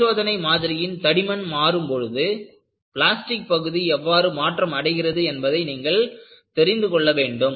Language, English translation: Tamil, And, you also want to know, how the plastic zone does vary, over the thickness of the specimen